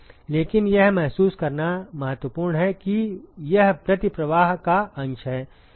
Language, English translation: Hindi, But it is just important to realize that it is the fraction of the counter flow